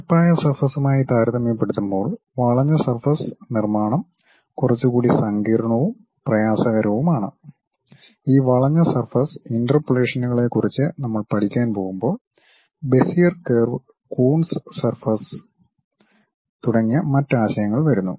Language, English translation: Malayalam, Curved surface construction is bit more complicated and difficult compared to your plane surface and when we are going to learn about these curved surface interpolations additional concepts like Bezier curves, Coons surface and other things comes